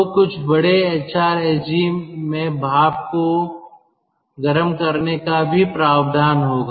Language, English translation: Hindi, then in some big hrsg there will be provision um for reheating steam also